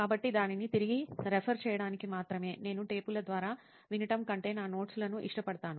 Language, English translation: Telugu, So only to refer back to it, I would prefer my notes rather than going through the tapes